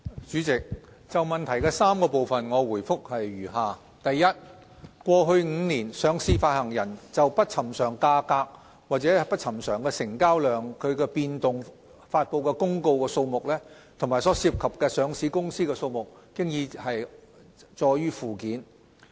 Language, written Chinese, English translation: Cantonese, 主席，就質詢的3個部分，我的答覆如下：一過去5年，上市發行人就不尋常價格或不尋常成交量變動發布的公告數目，以及所涉及的上市公司數目載於附件。, President my reply to the three parts of the question is as follows 1 The number of announcements issued by issuers in the last five years concerning unusual share price or trading volume movements and the number of issuers involved are set out at Annex